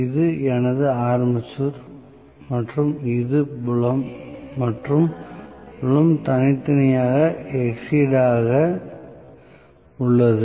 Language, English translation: Tamil, This is my armature and this is the field and field is being separately excited